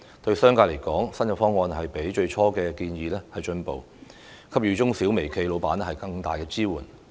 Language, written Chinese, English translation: Cantonese, 對商界來說，新方案亦比最初的建議有改善，給予中小微企老闆更大支援。, To the business sector the new proposal is an improvement compared with the first proposal and provides greater support for employers of micro small and medium enterprises